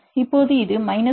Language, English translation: Tamil, So, you can say this is 1